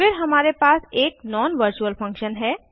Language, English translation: Hindi, Then we have a non virtual function